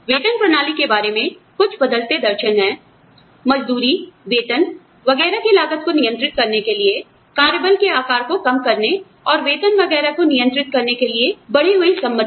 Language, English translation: Hindi, Some changing philosophies, regarding pay systems are, the increased willingness, to reduce the size of the workforce, and to restrict pay, to control the cost of wages, salaries, etcetera